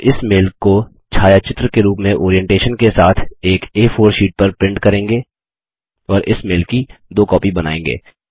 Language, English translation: Hindi, We shall print this mail on an A4 sheet, with Orientation as Portrait and make two copies of this mail